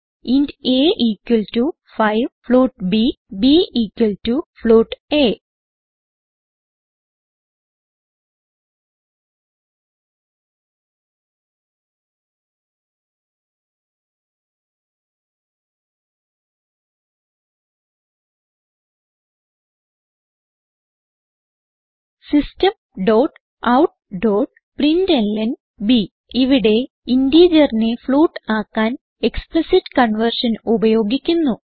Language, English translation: Malayalam, int a =5, float b, b = a System.out.println We are using Explicit conversion to convert integer to a float Save the file and Run it